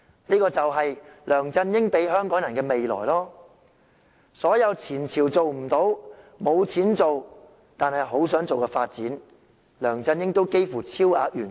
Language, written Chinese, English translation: Cantonese, 這就是梁振英給予香港人的未來，所有"前朝"做不到、沒有錢但很想做的發展，梁振英都幾乎超額完成。, This is the future LEUNG Chun - ying has given to Hong Kong people . All the development tasks that his predecessor failed but really wanted to carry out because of the lack of money LEUNG Chun - ying has accomplished all and even more